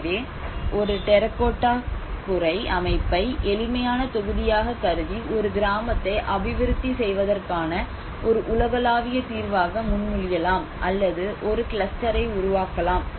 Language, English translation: Tamil, So as a terracotta roofing structure may have simplified this as a module and proposing it as a kind of universal solution to develop a village or to develop a cluster whatever it might